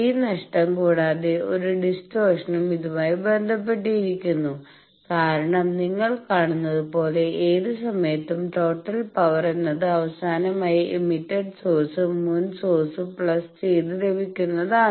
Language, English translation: Malayalam, Also apart from this lost there is a distortion associated, because as you see that at any time total power is power what is coming due to the last emitted source plus previous sources